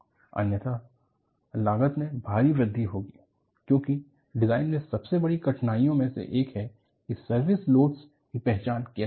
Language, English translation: Hindi, Otherwise, the cost will enormously increase; because one of the greatest difficulties in design is, how to identify the service loads